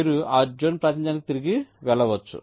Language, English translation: Telugu, so you can just go back to that zone representation between